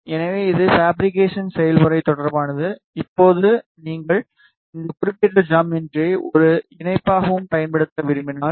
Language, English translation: Tamil, So, this is regarding the fabrication process now if you want to use this particular geometry as a combiner also